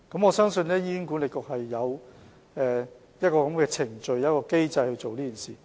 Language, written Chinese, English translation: Cantonese, 我相信醫管局有這樣的機制或程序做這件事。, I believe HA has put in place the mechanism or procedure in this respect